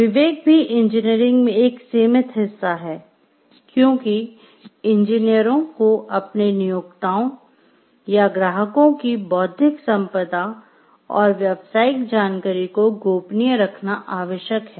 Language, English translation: Hindi, Discretion is also an ingrained part in engineering, because engineers are required to keep their employers, or clients’ intellectual property and business information confidential